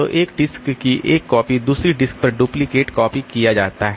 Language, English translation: Hindi, So, we copy of a disk is duplicated on another disk